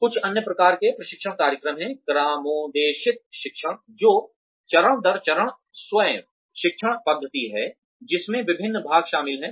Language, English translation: Hindi, Some other types of training programs are, programmed learning, which is step by step, self learning method, that consists of the various parts